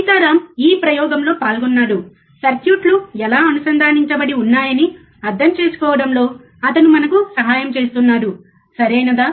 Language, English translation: Telugu, Sitaram is involved with this experiment, he is helping us to understand, how the circuits are connected, right